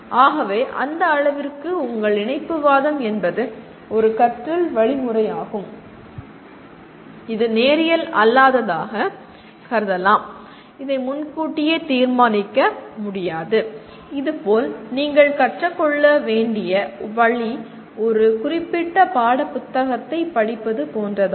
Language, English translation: Tamil, So your connectivism to that extent is a means of or means of learning which you can consider nonlinear and it cannot be exactly decided in advance this is the way you have to learn like reading a given textbook